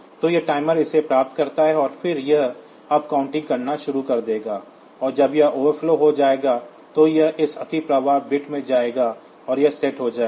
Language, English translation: Hindi, So, that was this timer get it, and then it will start doing up counting and when it overflows it will go to this overflow bit will be set